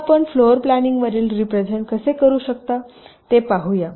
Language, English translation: Marathi, now let see how we can represent a floor plan